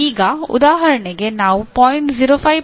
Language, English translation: Kannada, Now for example instead of 0